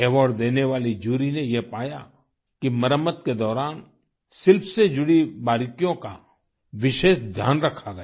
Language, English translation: Hindi, The jury that gave away the award found that during the restoration, the fine details of the art and architecture were given special care